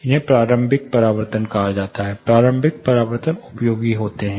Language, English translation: Hindi, These are called initial reflections, initial reflections are useful